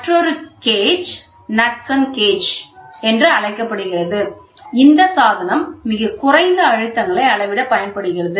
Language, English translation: Tamil, The, another one another gauge is called as Knudsen gauge, it is a device employed to measure very low pressures